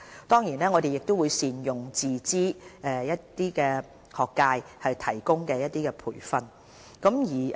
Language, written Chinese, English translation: Cantonese, 當然，我們亦會善用自資界別以提供培訓。, Of course we will also make good use of the self - financing health care training programmes